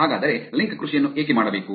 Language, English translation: Kannada, So, why link farming